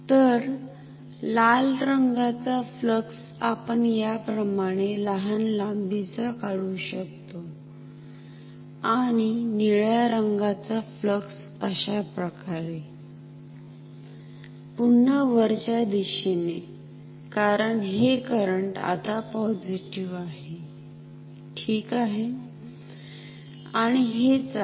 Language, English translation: Marathi, So, the red flux we can draw like this with a smaller length and the blue flux we can draw like this, it is again upwards, because this current is now positive ok